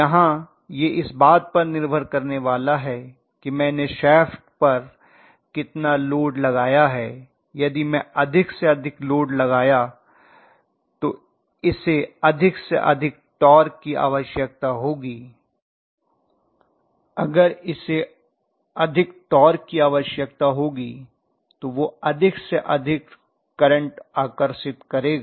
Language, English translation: Hindi, Here it is going to depend upon how much load I have put on the shaft if I put more and more load it will require more and more torque, if it requires more torque it will draw more and more current